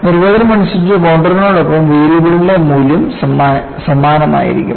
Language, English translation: Malayalam, By definition, along the contour, the value of the variable remains same